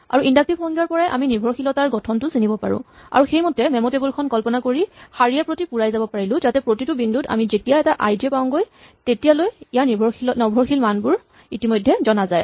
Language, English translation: Assamese, This is how our inductive definition neatly allows us to deal with holes and from that inductive definition we recognize the dependency structure and we imagine the memo table and now we are filling up this memo table row by row so that at every point when we reach an (i, j) value its dependent values are already known